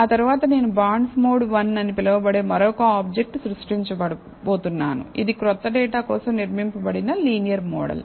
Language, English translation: Telugu, So, then I am going to create another object called bonds mod one, which is the linear model that is being built for the new data